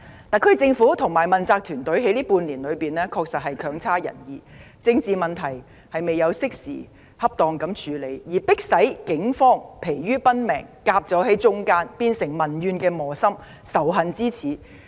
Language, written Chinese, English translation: Cantonese, 特區政府和問責團隊在這半年內的表現確實不濟，沒有適時恰當地處理政治問題，害得警方疲於奔命，左右為難，變成民怨磨心及仇恨之始。, The performance of the SAR Government and the accountable team in the past half year has indeed been very poor . They have not taken timely and appropriate actions to deal with the political issues . The Police are driven to work too hard often caught in a no - win situation